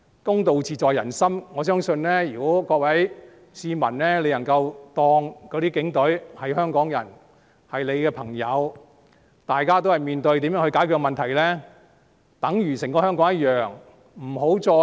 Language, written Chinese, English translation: Cantonese, 公道自在人心，我相信如果各位市民能夠把警隊當作香港人和朋友，大家也在面對如何解決問題，便等於一個香港般。, Justice is in the peoples hearts . I believe if the public can regard the Police Force as Hongkongers and friends who are facing the issue of identifying solutions to the problems together we will be like one Hong Kong